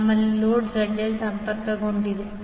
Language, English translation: Kannada, We have a load ZL is connected